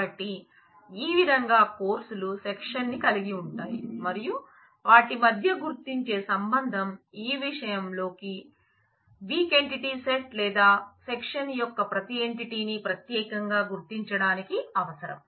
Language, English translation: Telugu, So, the courses in that way own the section and the identifying relationship between them is necessary to uniquely identify every entity of this weak entity set or section in our case